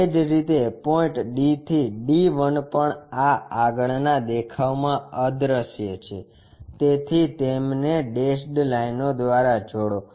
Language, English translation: Gujarati, Similarly, point D to D 1 also invisible from this front view so, join them by dashed lines